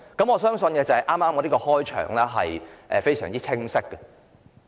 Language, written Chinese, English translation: Cantonese, 我相信我的引言非常清晰。, I believe my introduction is very clear